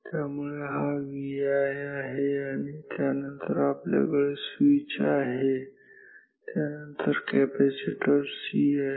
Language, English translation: Marathi, So, this is V i after this we will have a switch and here we will have a capacitor C